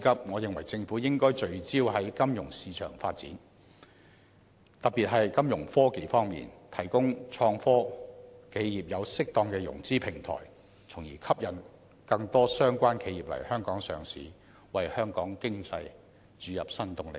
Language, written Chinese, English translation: Cantonese, 我認為政府的當務之急是聚焦於金融市場發展，特別是在金融科技方面，為創科企業提供適當的融資平台，從而吸引更多相關企業來港上市，為香港經濟注入新動力。, Top priority should also be accorded by the Government now to focus its attention on the development of financial market financial technology in particular so that an appropriate financing platform will be provided for innovative and technology enterprises thereby attracting more of these enterprises to come and list in Hong Kong and injecting new impetus into the economy of Hong Kong